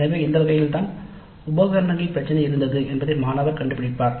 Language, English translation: Tamil, So that's how the student would come to know that the equipment was the one which was giving the trouble